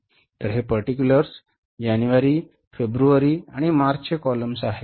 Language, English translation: Marathi, So these are particulars, January, February and March